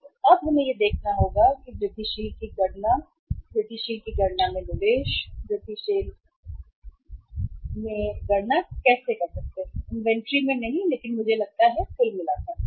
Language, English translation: Hindi, So now we will have to see that say calculation of incremental, calculation of incremental investment in, calculation of incremental investment you can say, not in inventory but I think in total